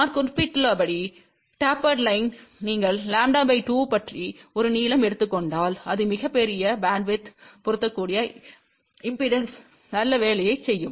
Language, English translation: Tamil, As I mention , for a tapered line itself if you just take a length about lambda by 2, it will do a fairly good job of impedance matching over very large bandwidth